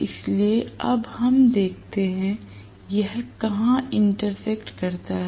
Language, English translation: Hindi, So, we are looking at now wherever it intersects